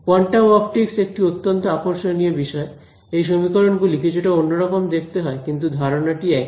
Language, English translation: Bengali, So, quantum optics is a very interesting field as well; those equations look a little bit different, but the idea is the same